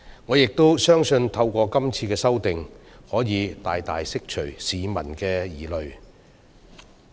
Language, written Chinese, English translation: Cantonese, 我亦相信，是次修訂可以大大釋除市民的疑慮。, I also believe that the amendments will significantly allay public concerns